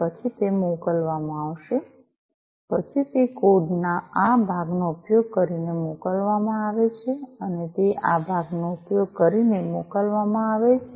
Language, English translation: Gujarati, Then it is sent, then it is sent using this part of the code, it is sent using this part